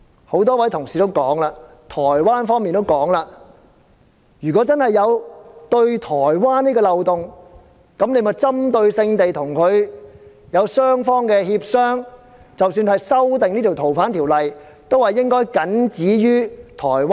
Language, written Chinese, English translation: Cantonese, 很多同事指出，台灣方面也有提到，如果法例對該宗台灣命案真的有漏洞，當局可以只針對該案雙方進行協商，即使要修訂《條例》，亦應僅止於台灣。, Many colleagues have pointed out and so has Taiwan that if there is indeed a loophole in the legislation in dealing with the homicide case in Taiwan the authorities can negotiate with Taiwan concerning the case only and even if the Ordinance has to be amended the amendment should be restricted to Taiwan alone